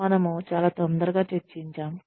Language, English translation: Telugu, We discussed very hurriedly